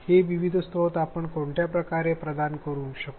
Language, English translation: Marathi, In what ways can we provide these various resources